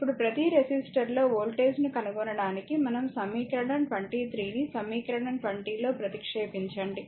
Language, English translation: Telugu, Now, to determine the voltage across each resistor, let us ah we substitute equation 23 into equation 20 and we will get